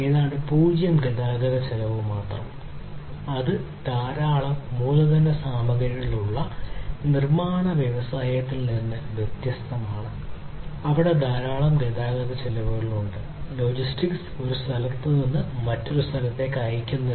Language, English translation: Malayalam, So, there is almost like zero transportation cost that is involved and that is unlike the manufacturing industries which have lot of capital goods, lot of transportation costs are involved, shipping from one location to another, logistics, so many, so much of complications are there